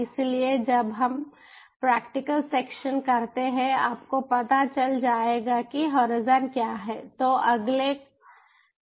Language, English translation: Hindi, so when we ah, when we do the practical section, you will know what the horizon is